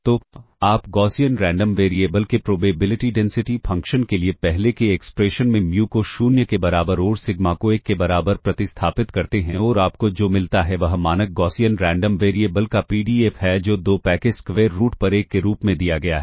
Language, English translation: Hindi, So, you substitute mu equal to 0 and sigma equal to 1, in the earlier expression for the probability density function of the Gaussian Random Variable and what you get is the PDF of this Standard Gaussian Random Variable given as 1 over square root of 2 pi